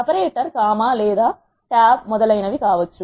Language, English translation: Telugu, The separator can also be a comma or a tab etcetera